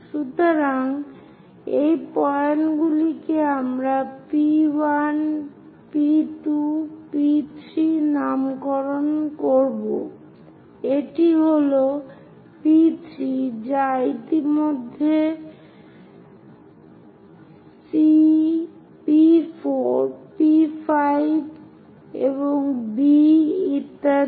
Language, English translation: Bengali, So, these points we will name it as P 1, P 2, P 3, this is P 3 which is already C, P 4, P 5, and B and so on